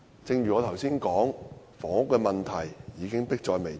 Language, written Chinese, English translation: Cantonese, 正如我剛才所說，房屋問題已經迫在眉睫。, As I said just now the housing problem is already very pressing